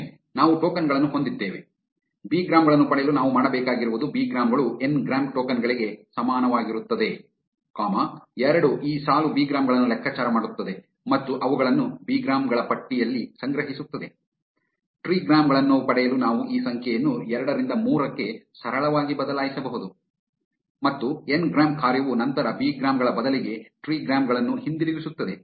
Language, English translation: Kannada, Once, we have the tokens, all we need to do to get bigrams is to say bigrams is equal to n grams tokens comma two this line will calculate bigrams and store them in a list called bigrams; to obtain trigrams we can simply change this number two to three and the ngrams function will then return trigrams instead of bigrams